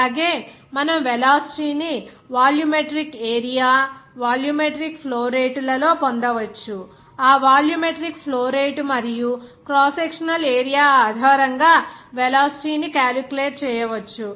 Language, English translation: Telugu, Also, you can get the velocity in terms of volumetric area, volumetric flow rate like what is that, velocity can be then calculated based on that volumetric flow rate and also crosssectional area